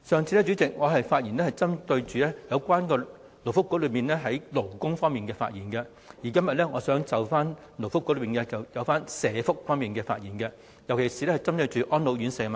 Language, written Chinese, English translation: Cantonese, 主席，我上次發言是針對勞工及福利局有關勞工方面的問題，而今天我想就該局有關社福方面的問題發言，尤其是安老院舍的問題。, Chairman my previous speech was about labour matters under the purview of the Labour and Welfare Bureau . Today I wish to speak on welfare matters under its purview especially matters relating to elderly residential care homes